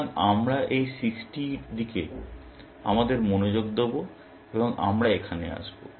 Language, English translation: Bengali, So, we will shift our attention to this 60, and we will come down here